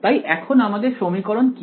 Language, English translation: Bengali, So, now, what is this equation